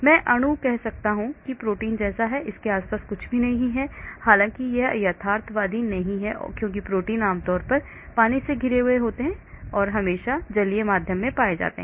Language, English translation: Hindi, Or I can have molecule say protein like and there is nothing surrounding this although it is not realistic because proteins generally are surrounded by water because they are always found in aqueous medium